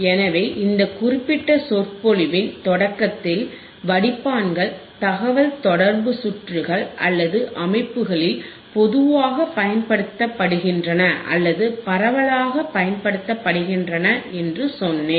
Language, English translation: Tamil, So, the point was that, in the starting of the this particular filters lecture, I told you that the filters are generally used or most widely used in the communication circuits in the communication or systems alright ok